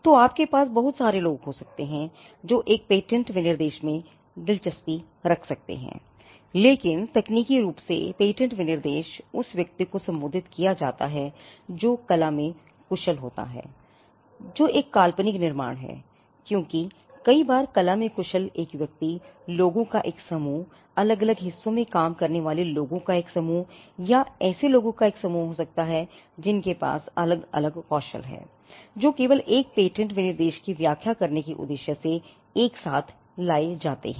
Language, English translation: Hindi, So, you could have a whole lot of people who could be interested in a patent specification but technically, the patent specification is addressed to a person skilled in the art whose which is a hypothetical construct because a person skilled in the art at times could be a group of people, it could also be a group of people working in different parts, it could be a group of people who have different skills which are brought together only for the purposes of interpreting a patent specification